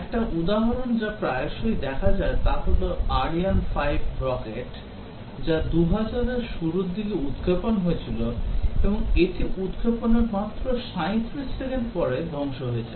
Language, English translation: Bengali, One example that is often sighted is the Ariane 5 rockets, which was launched in early 2000 and it self destructed just 37 seconds after launch